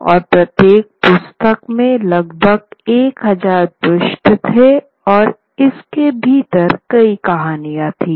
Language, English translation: Hindi, And each had about a thousand pages and they could have many, many stories within it